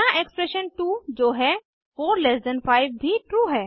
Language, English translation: Hindi, Expression 2 that is 45 is also true